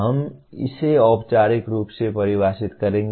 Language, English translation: Hindi, We will formally define it